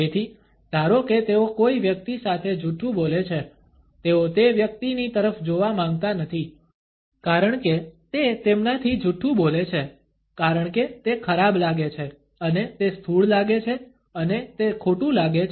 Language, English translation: Gujarati, So, say they are lying to a person, they do not want to look at that person as they are lying to them, because it feels bad and it feels gross and it feels wrong